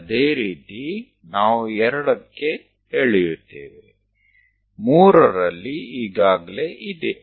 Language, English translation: Kannada, Similarly, we will draw at 2; 3 is already there